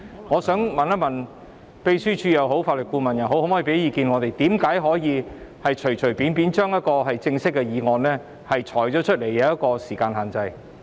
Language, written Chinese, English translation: Cantonese, 我想問一問，可否請秘書處或法律顧問向我們提供意見，告訴我們為甚麼可以隨隨便便地對一項正式的議案施加時間限制？, I would like to ask if the Secretariat or Legal Adviser can give us advice and tell us why a time limit can be imposed on a formal motion so casually